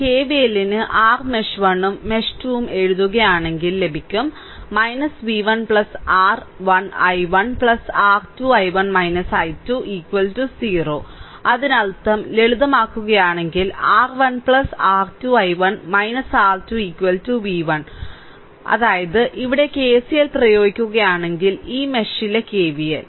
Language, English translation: Malayalam, So, if you write your mesh 1 and mesh 2 that your KVL, you will get minus v 1 plus R 1 i 1 plus R 2 into i 1 minus i 2 is equal to 0, right; that means, if you simplify, you will get R 1 plus R 2 i 1 minus R 2 is equal to v 1; that means, here if you apply KCL in this, your KVL in this mesh